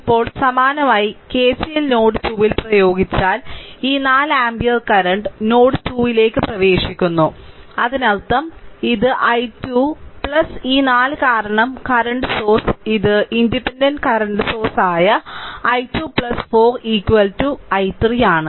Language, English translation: Malayalam, Now similarly if you apply at node 2 that KCL then this 4 ampere current is entering into the node 2 right; that means, this i 2 plus this 4 because this is a current source independent current source i 2 plus 4 is equal to i 3 right